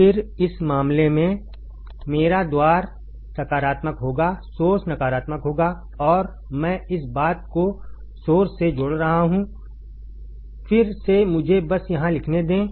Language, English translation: Hindi, Then in this case my gate would be positive, source would be negative and I am connecting this thing to the source, again let me just write it down here